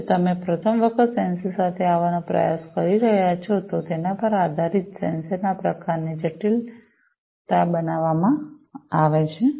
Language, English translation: Gujarati, If you are trying to come up with a sensor for the first time, you know, depending on the type of sensor being made the complexity of it and so on